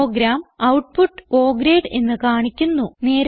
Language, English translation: Malayalam, The program will display the output as O grade